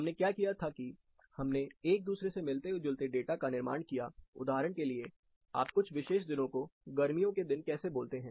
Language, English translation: Hindi, What we did was, we build the data which resembles each other, for example, how do you say a specific set of days, or summer days